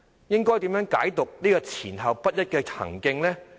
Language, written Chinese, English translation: Cantonese, 應該如何解讀這種前後不一的行徑？, How should we interpret such inconsistent behaviour?